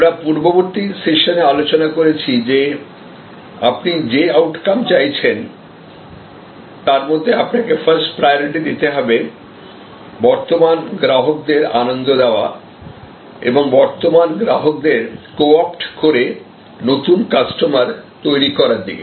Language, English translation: Bengali, And we discussed in the previous session that this desired outcomes in terms of priority first is to enhance the delight factors, enhance delight factors for current customers and co opt current customers to acquire new customers